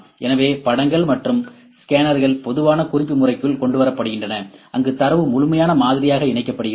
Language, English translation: Tamil, So, images and scans are brought into common reference system, where data is merged into a complete model ok